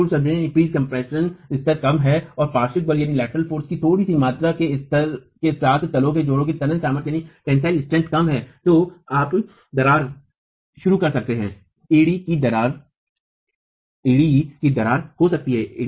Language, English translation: Hindi, If the pre compression level is low and the tensile strength of the joint is low with a little level of little magnitude of lateral force you can start getting cracking, heel cracking can occur